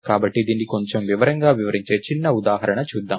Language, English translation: Telugu, So, Lets see a small example which explain this in a little more detail